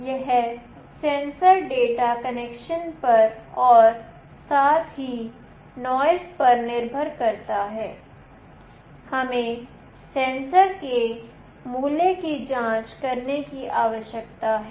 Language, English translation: Hindi, This sensor data depends on connection as well as the noise as we need to check the value of the sensor